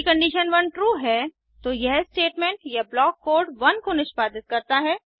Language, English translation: Hindi, If condition 1 is true, it executes the statement or block code